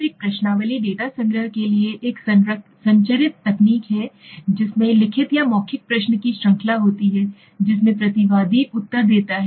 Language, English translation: Hindi, Now a questionnaire is a structured technique for data collection that consists of series of questions written or verbal that a respondent answers, okay